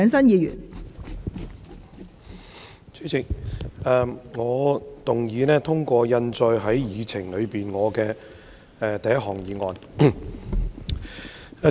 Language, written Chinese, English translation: Cantonese, 代理主席，我動議通過印載於議程內的第一項擬議決議案。, Deputy President I move that my first motion as printed on the Agenda be passed